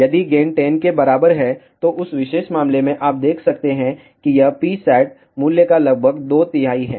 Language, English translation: Hindi, If gain is equal to 10, in that particular case you can see that this is almost two third of the P saturated value